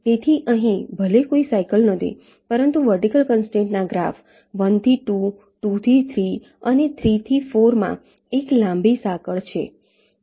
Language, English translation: Gujarati, so here though, there is no cycle, but there is a long chain in the vertical constraint graph: one to two, two to three and three to four